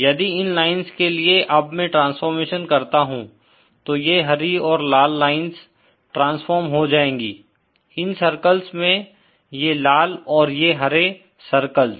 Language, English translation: Hindi, If for these lines if I do this transformation, then these are red and green lines are transformed to these circles, these red and these green circles